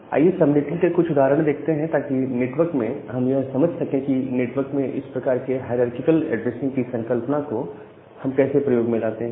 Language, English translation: Hindi, So, let us look a few example of subnetting that how can you actually have this kind of hierarchical addressing concept in network